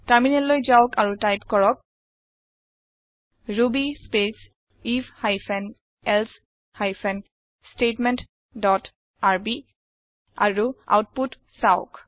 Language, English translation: Assamese, Now, let us switch to the terminal and type ruby space if hyphen elsif hyphen statement dot rb and see the output